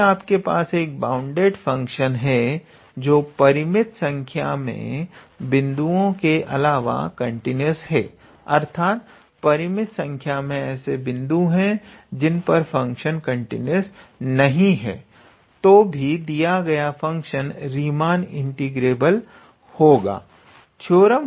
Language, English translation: Hindi, So, if you have a bounded function, which is considered continuous except for finite number of points that means, there are finite number of points, where the function is not continuous even in that case your given function would be Riemann integrable